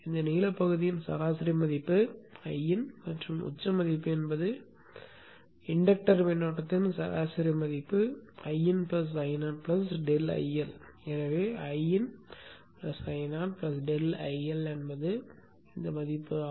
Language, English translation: Tamil, The average value of this blue part is IN and the peak value is you know the average value of the inductor current is I in plus I0 plus delta IL